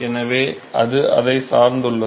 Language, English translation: Tamil, So, that depends upon